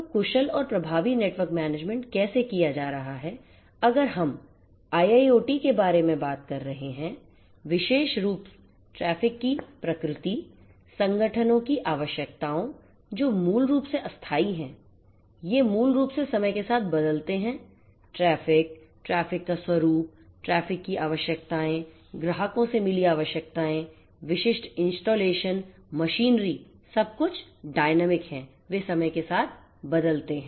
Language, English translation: Hindi, So, efficient and effective network management how it is going to be done, if we are talking about IIoT specifically the nature of traffic the requirements from the organizations these basically are non static, these basically change with time the traffic, the nature of traffic, the requirements of the traffic, the requirements from the clients, the specific installations the machinery everything is dynamic they change with time